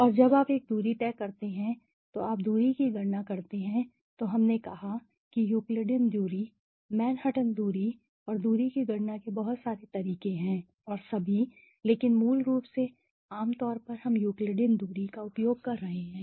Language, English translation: Hindi, And when you do a distance you calculate the distance so we said there are so many ways of calculating the Euclidean distance, the Manhattan distance and the distance and all but we are basically generally we are using the Euclidean distance